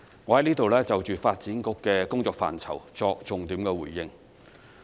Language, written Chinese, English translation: Cantonese, 我在此就着發展局的工作範疇作重點回應。, Here I would like to give a focused response in respect of the purview of the Development Bureau DB